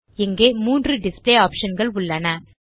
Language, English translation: Tamil, There three display options here